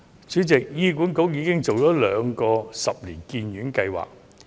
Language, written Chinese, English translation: Cantonese, 主席，醫管局已準備兩個十年醫院發展計劃。, President HA is already prepared for the two 10 - year Hospital Development Plans